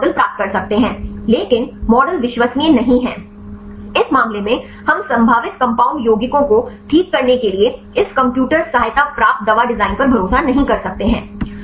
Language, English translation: Hindi, We can get some models, but the models are not reliable, in this case we cannot trust this computer aided drug design to get the probable lead compounds fine